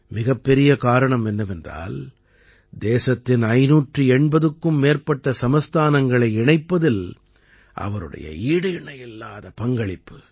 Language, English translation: Tamil, The biggest reason is his incomparable role in integrating more than 580 princely states of the country